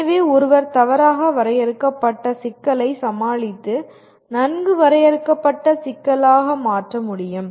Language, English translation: Tamil, So one should be able to tackle an ill defined problem and convert into a well defined problem